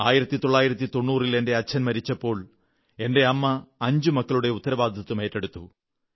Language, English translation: Malayalam, In 1990, when my father expired, the responsibility to raise five sons fell on her shoulders